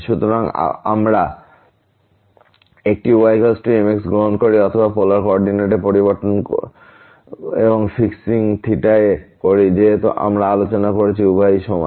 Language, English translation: Bengali, So, we take a is equal to or changing to polar coordinate and fixing theta as we discussed both are equivalent